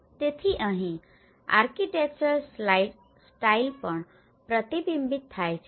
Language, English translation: Gujarati, So here, the architectural style also reflected